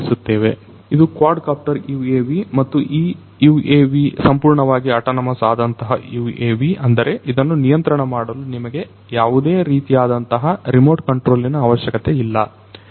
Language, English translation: Kannada, And, so, this is a quadcopter UAV and this UAV is a fully autonomous UAV; that means, that you do not need any remote control to operate it